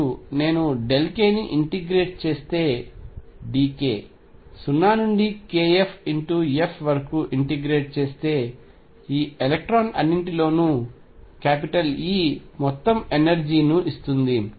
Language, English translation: Telugu, And if I integrate delta k being d k from 0 to k f this gives me total energy e of all these electrons